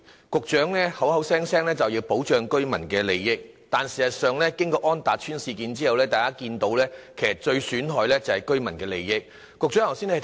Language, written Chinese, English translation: Cantonese, 局長總是說要保障居民的利益，但事實上經過安達邨事件之後，大家看到其實居民的利益受到最大損害。, The Secretary has been talking about protection of residents interests but in fact after the On Tat Estate incident it is evident to all that residents interests suffer the most